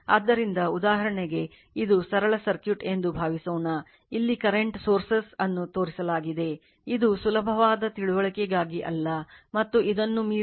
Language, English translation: Kannada, So, for example, suppose this is simple circuit, this current is current sources shown say it is i t for easy understanding, and voltage across v’s beyond this